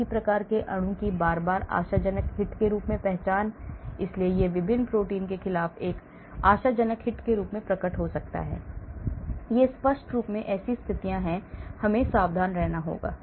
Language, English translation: Hindi, repeated identification of the same type of molecule as promising hits, so it may appear as a promising hit against different protein, so obviously in such situations we have to be careful